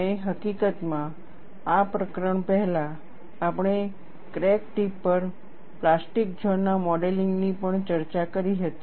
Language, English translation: Gujarati, And, in fact, before this chapter, we had also discussed modeling of plastic zone at the crack tip